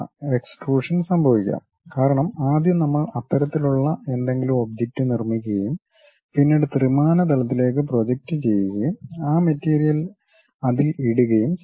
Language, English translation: Malayalam, There might be extrusion happen because first we have constructed some object like that, and then projected that into 3 dimensions and fill that material